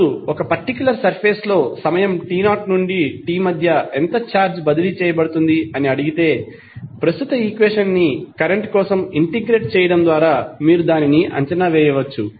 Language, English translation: Telugu, Now, if you are asked to find how much charge is transferred between time t 0 to t in a particular surface, you can simply evaluate by integrating the above equation